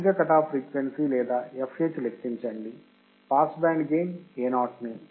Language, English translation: Telugu, Calculate the high frequency cut off or fh in a pass band gain Ao